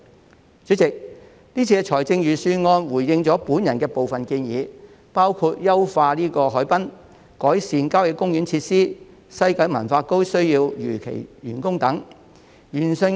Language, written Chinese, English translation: Cantonese, 代理主席，這份預算案回應了我的部分建議，包括優化海濱、改善郊野公園設施、西九文化區如期完工等。, Deputy President this Budget has responded to some of my proposals including harbourfront enhancement improvement of country park facilities and completion of the West Kowloon Cultural District as scheduled